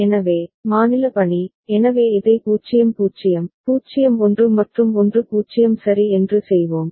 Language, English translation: Tamil, So, state assignment, so let us do it the this way a is 0 0, 0 1 and 1 0 ok